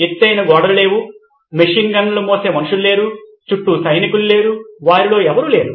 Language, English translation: Telugu, No high walls, no you know machine gun bearing down people, soldiers around, nope, none of them